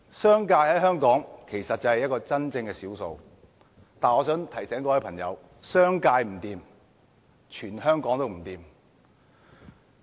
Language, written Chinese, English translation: Cantonese, 商界在香港是真正的少數，但我想提醒各位朋友，商界不濟，全香港都不濟。, The business sector is the true minority in Hong Kong and yet I wish to remind everyone that when the business sector fares ill the entire Hong Kong will fare in a similar way